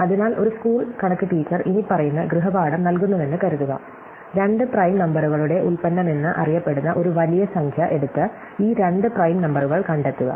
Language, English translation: Malayalam, So, supposing a school MathÕs teacher assigns the following homework, take a large number which is known to be the product of two prime numbers and find these two prime numbers